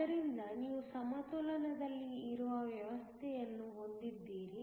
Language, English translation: Kannada, So, you have a system that it is at equilibrium